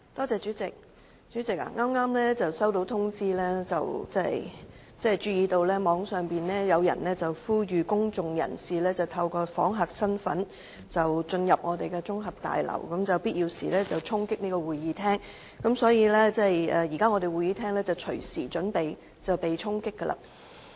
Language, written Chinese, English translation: Cantonese, 主席，我剛剛接獲通知，網上有人呼籲公眾人士以訪客身份進入立法會綜合大樓，並在必要時衝擊會議廳，所以現時會議廳隨時會被衝擊。, President I have just been notified that an appeal had been made on the Internet for members of the public to enter the Legislative Council Complex as visitors and storm the Chamber when necessary . As a result the Chamber will be stormed anytime soon